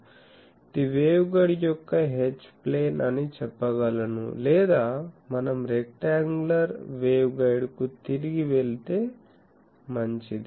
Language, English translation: Telugu, So, this is the I can say H plane of the waveguide or if we go back to the rectangular waveguide that will be better